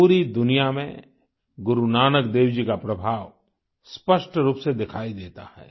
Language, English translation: Hindi, The world over, the influence of Guru Nanak Dev ji is distinctly visible